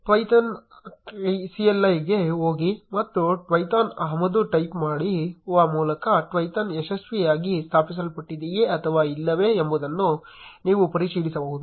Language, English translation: Kannada, You can check whether Twython has successfully installed or not by going to Python cli and typing import Twython